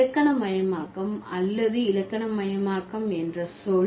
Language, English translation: Tamil, The term grammaticalized or grammaticalization